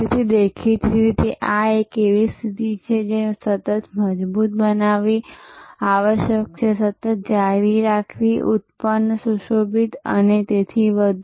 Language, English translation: Gujarati, So; obviously, this is a position that must be continuously strengthen continuously retained enhanced embellished and so on